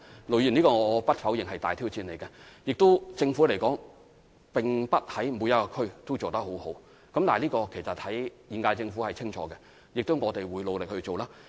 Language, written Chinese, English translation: Cantonese, 盧議員，我不否認這是一項大挑戰，政府也並非在每區都做得很好，但現屆政府對此是清楚的，而我們亦會努力去做。, Ir Dr LO there is no denying that this is a big challenge and the Government is not doing an excellent job in each and every district but the current - term Government is aware of the situation and we will work hard on it